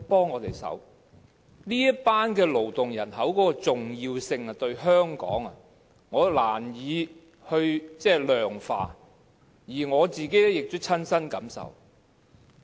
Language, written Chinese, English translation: Cantonese, 我難以量化這群勞動人口對香港的重要性，而我亦親身感受到。, Although I can hardly quantify the importance of foreign domestic helpers as a workforce in Hong Kong I can experience it personally